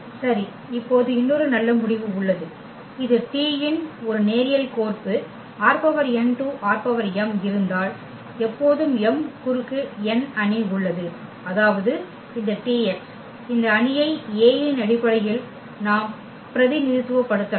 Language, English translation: Tamil, Well, so now, there is another nice result that if T is a linear map from this R n to R m T is a linear map from R n to R m then there is an always m cross n matrix a such that this T x you can represent in terms of this matrix A